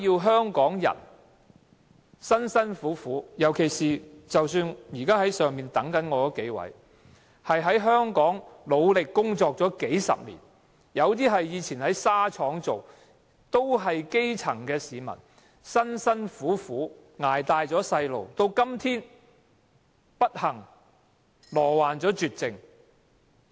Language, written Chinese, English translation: Cantonese, 香港人工作辛勞，現時在樓上等待我的數位病人，他們在香港努力工作數十年，有人過去在紗廠工作，都是基層市民，辛辛苦苦將孩子養大，到今天卻不幸罹患絕症。, Hong Kong people work very hard . The several patients waiting for me upstairs have been working diligently in Hong Kong for decades and at least one of them worked in a spinning mill before . They are all grass - roots citizens who unfortunately fall victims to incurable diseases today after struggling mightily to bring up their children